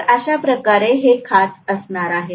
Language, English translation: Marathi, So this is how the slots are going to be